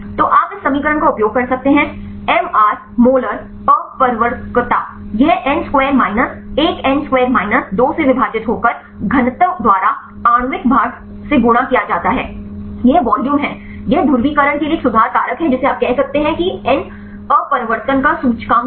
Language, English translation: Hindi, So, you can use this equation MR molar refractivity; this n square minus 1 divided by n square minus 2 multiplied by the molecular weight by density; this is the volume, this is a correction factor for the polarization you can say n is the index of refraction